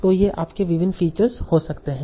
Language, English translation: Hindi, So, these can be your various features